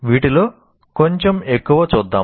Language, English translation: Telugu, Let us look at a little more of this